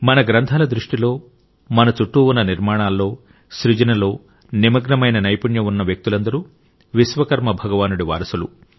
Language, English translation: Telugu, In the view of our scriptures, all the skilled, talented people around us engaged in the process of creation and building are the legacy of Bhagwan Vishwakarma